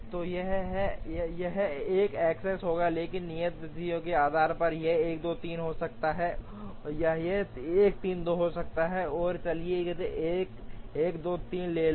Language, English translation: Hindi, So, this will be 1 x x, but based on due dates it can be 1 2 3 or it can be 1 3 2, so let us take the case 1 2 3